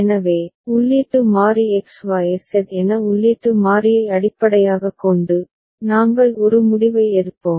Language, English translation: Tamil, So, based on the input variable that input variable x y z whatever so, we’ll be taking a decision